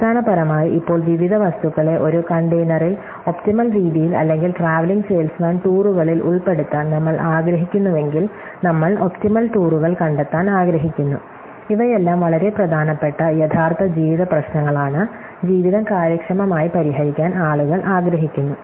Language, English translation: Malayalam, So, bin packing is basically now if I want to put various objects into a container in an optimum way or traveling salesman tours, we want find optimal tours, all these are very important real life problems, which people would like the life solve efficiently